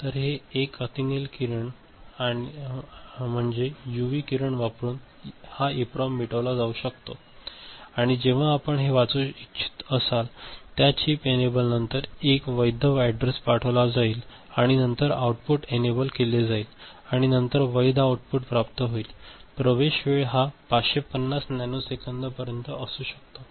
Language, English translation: Marathi, So, this is a UV ray I mean, this EPROM can be erased by using UV ray and when you want to read it first the a valid address is put after that chip enable and then output enable are successively placed and then the valid output is obtained, access time can be up to 550 nanosecond